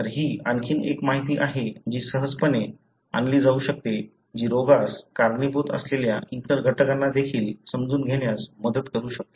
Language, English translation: Marathi, So, it is another information that can easily be brought in which could help in understanding even the other factors that contribute to the disease